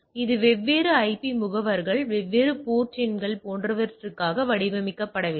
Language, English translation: Tamil, It is not design for different IP address different port number etcetera